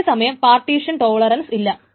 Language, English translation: Malayalam, Of course they are partition tolerant